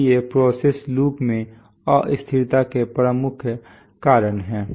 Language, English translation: Hindi, So these are the major causes of instability in a process loop